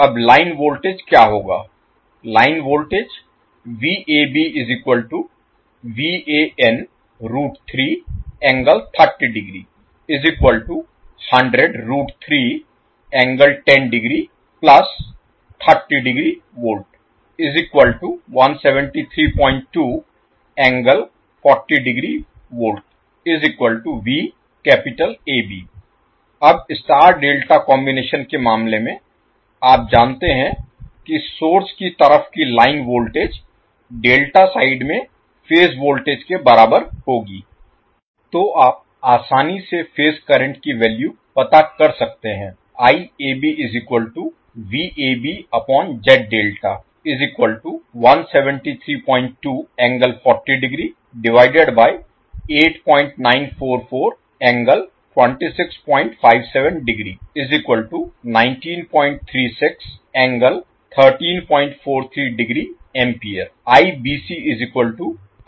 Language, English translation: Hindi, Now in case of star delta combination, you know that the line voltage of the source side will be equal to phase voltage at the delta side